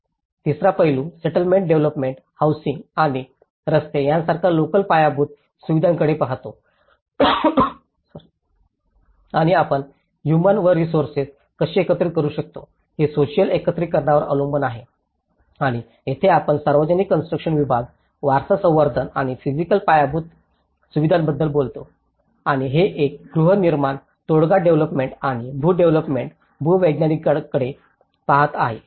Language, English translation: Marathi, The third aspect looks at the settlement development housing and the local infrastructure like roads and this is completely on the social mobilization how we can mobilize the human and resources and this is where we talk about the public building section, heritage conservation and physical infrastructure and this one is looking at the housing settlement development and the land development geological